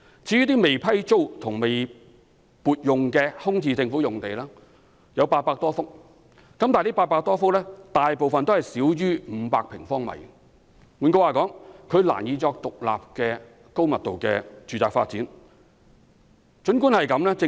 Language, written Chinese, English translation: Cantonese, 至於未批租和未撥用的空置政府用地有800多幅，但這800多幅土地大部分均少於500平方米。換言之，它們難以獨立用作發展高密度住宅。, As for unleased and unallocated Government land there are some 800 vacant sites but most of them are smaller than 500 sq m In other words very few of them can be used for high - density residential development